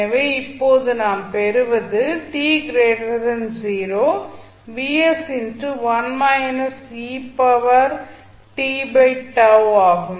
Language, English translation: Tamil, So, what will happen at time t is equal to 0